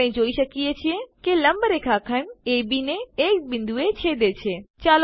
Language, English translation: Gujarati, We see that the perpendicular line intersects segment AB at a point